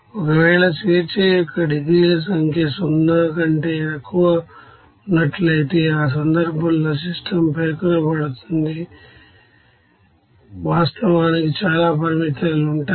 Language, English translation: Telugu, If number of degrees of freedom is less than 0, in that case the system will be over specified, there are too many actually restrictions will be there